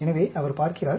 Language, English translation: Tamil, So, he is looking